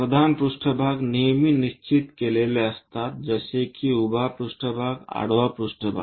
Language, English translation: Marathi, Principal planes are always be fixed like vertical planes horizontal planes